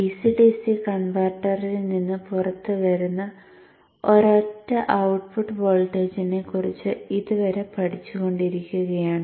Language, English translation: Malayalam, Till now we have been studying a single output voltage coming out of the DCDC converter